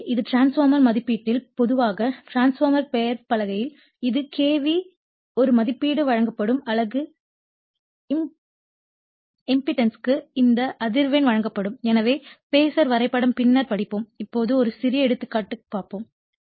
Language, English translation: Tamil, So, this is actually transformer rating generally on the transformer nameplate you will find it is K V a rating will be given right, this frequency will be given for unit impedance will be given all this things will be given